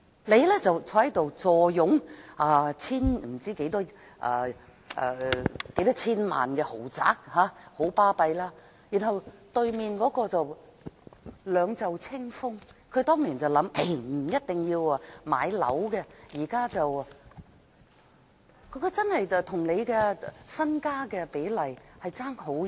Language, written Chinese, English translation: Cantonese, 你坐擁數千萬元的豪宅，很是了不起，而另一人卻兩袖清風，因為他當年的想法是不一定要買樓，但現在兩者的財富比例相差極遠。, You are the owner of a luxurious apartment valued at tens of millions of dollars and you are doing just great whereas the other person is fortuneless because back then he took the view that buying a flat was not a must . But now they are so far apart from each other in terms of wealth